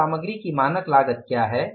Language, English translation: Hindi, So, what is the standard cost of the material